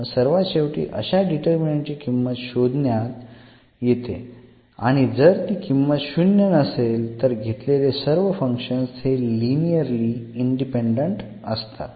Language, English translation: Marathi, So, when we compute this determinant and we see that this is not equal to 0, then these functions are linearly independent